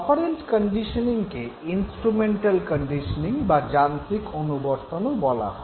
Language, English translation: Bengali, Operant conditioning is also known as instrumental conditioning